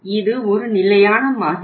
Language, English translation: Tamil, This is standard model